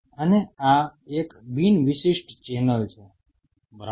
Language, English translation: Gujarati, And this is a non specific channel right